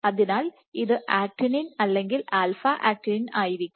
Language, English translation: Malayalam, So, this would be actin or alpha actinin ok